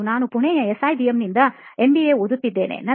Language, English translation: Kannada, And I am pursuing my MBA from SIBM, Pune